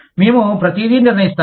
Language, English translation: Telugu, We will decide everything